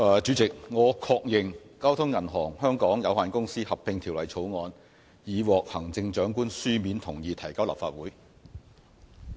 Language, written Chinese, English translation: Cantonese, 主席，我確認《交通銀行有限公司條例草案》已獲行政長官書面同意提交立法會。, President I confirm that the Chief Executive has given his written consent for the Bank of Communications Hong Kong Limited Merger Bill to be introduced to the Legislative Council